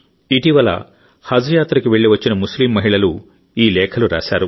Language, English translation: Telugu, These letters have been written by those Muslim women who have recently come from Haj pilgrimage